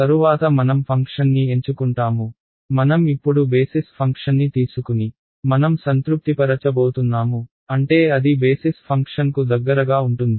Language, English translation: Telugu, Next we will choose the function we choose the basis function which I intuitively now is going to satisfy the I mean it is going to be close to the basis function